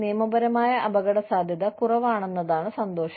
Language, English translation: Malayalam, The pleasure is, that there is, less legal risk